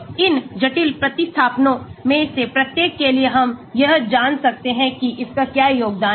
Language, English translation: Hindi, So, for each of these complicated substituent we can find out what is its contribution